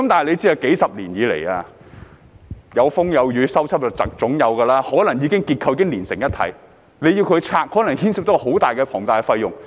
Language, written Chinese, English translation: Cantonese, 須知道數十年來有風有雨，總會有修葺，結構可能已經連成一體，居民要拆除的話，可能牽涉到龐大費用。, It is important to understand that such removal might cost the residents a fortune because the structures may have merged into one as a result of inevitable repairs due to rains and storms over the decades